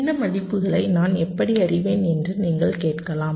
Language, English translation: Tamil, well, you can ask that: how do i know these values